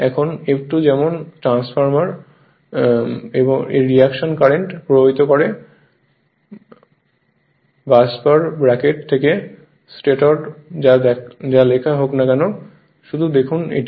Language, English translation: Bengali, Now, F2 causes like your transformer F2 causes reaction currents to flow into the stator from the busbar bracket whatever written just just look into this